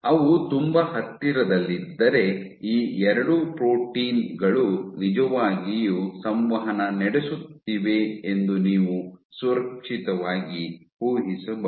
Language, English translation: Kannada, If they are so close then you can safely make an assumption that these 2 proteins are really interacting